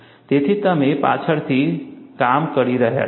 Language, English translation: Gujarati, So, you are working backwards